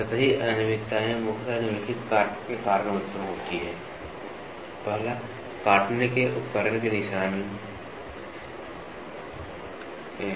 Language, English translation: Hindi, The surface irregularities primarily arise due to the following factors: Feed marks of the cutting tool